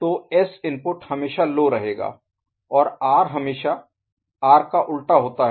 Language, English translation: Hindi, So, S input we always get low and R is always inverted version of R ok